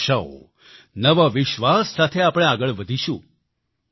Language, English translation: Gujarati, With new hopes and faith, we will move forward